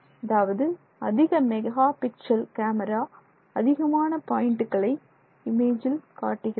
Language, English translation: Tamil, The higher megapixels is adding more points to the same image